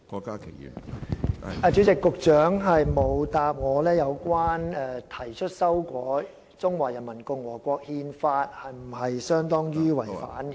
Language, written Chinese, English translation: Cantonese, 主席，局長沒有回答，提出修改《憲法》是否等同違憲？, President the Secretary has not answered whether proposing an amendment to the Constitution is unconstitutional